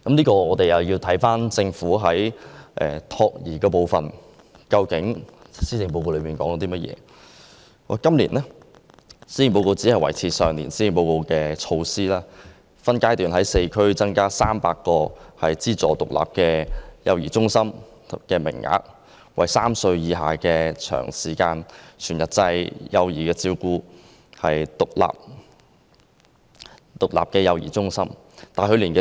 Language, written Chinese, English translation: Cantonese, 關於託兒服務方面，今年的施政報告顯示，政府只維持去年施政報告所建議的措施，即分階段在4區增加300個資助獨立幼兒中心的名額，提供2至3歲幼稚園暨幼兒中心全日制服務。, On child - minding services this years policy address indicates that the Government only sticks to the initiatives proposed in last years policy address namely to increase aided places by phases in the 300 standalone child care centres CCCs in 4 districts to provide full - day services in kindergartens - cum - CCCs for children aged between two and three